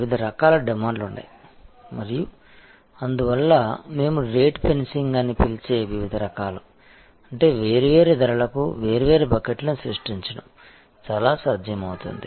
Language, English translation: Telugu, There are different types of demands and therefore, different types of what we call rate fencing; that means, creating different buckets at different prices become quite feasible